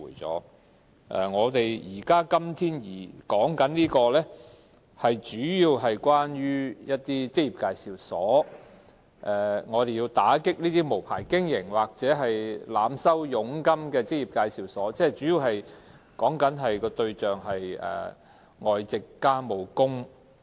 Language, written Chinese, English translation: Cantonese, 本會今天討論的法案，主要是針對職業介紹所，我們要打擊無牌經營或濫收佣金的職業介紹所，它們的主要對象為外籍傭工。, The Bill under discussion in this Council today mainly targets employment agencies . We have to combat employment agencies that operate without a licence or charge excessive commission and the target of these employment agencies are mainly foreign domestic helpers